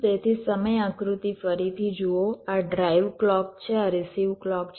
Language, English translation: Gujarati, this is the drive clock, this is the receive clock